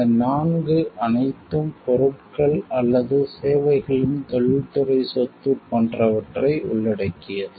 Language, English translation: Tamil, All these 4 consist of the things related to like industrial property of the goods or services